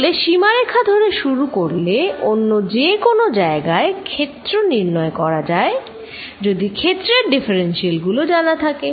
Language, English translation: Bengali, So, starting from a boundary, one can find field everywhere else if differentials of the field are known